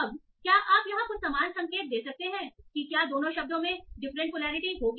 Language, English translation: Hindi, Now can you have similar indication for saying whether the two words will have different polarity